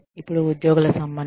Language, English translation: Telugu, Then, employee relations